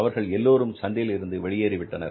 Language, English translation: Tamil, So means they have left the market, they have gone out of the market